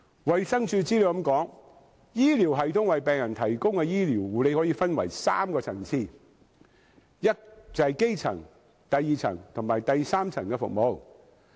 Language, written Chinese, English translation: Cantonese, 衞生署的資料這樣說，"醫療系統為病人提供的醫療護理可分為三個層次——即基層、第二層及第三層醫療服務。, According to the Department of Health the concept of primary care is quote A health care system can generally be divided into three levels of care primary secondary and tertiary